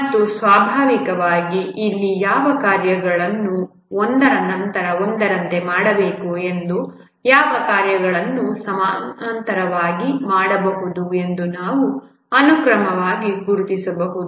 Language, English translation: Kannada, And naturally here we can identify sequence which tasks need to be done one after other and which tasks can be done parallelly